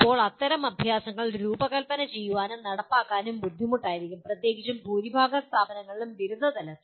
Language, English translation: Malayalam, And now further it will become difficult to design and implement such exercises particularly at undergraduate level in majority of the institutions